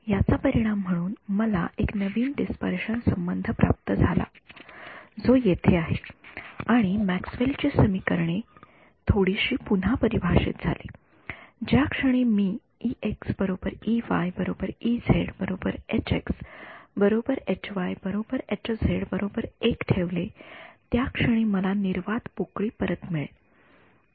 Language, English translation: Marathi, As a result of which I got a new dispersion relation which is over here and Maxwell’s equations got redefined a little bit, the moment I put e x e y e z all of them equal to 1 I get back vacuum ok